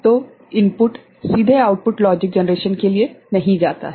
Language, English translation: Hindi, So, input does not directly go to the output logic generation